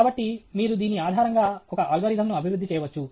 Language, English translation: Telugu, So, you can develop an algorithm based on this okay